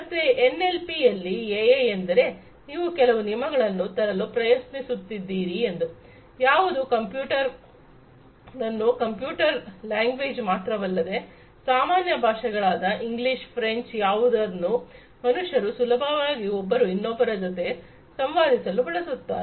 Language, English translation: Kannada, So, AI in NLP means what that you are trying to come up with some rules, etcetera, which can make the computer understand not the computers language, but the way the natural languages like English, French, etcetera with which with which humans are conversant to communicate with one another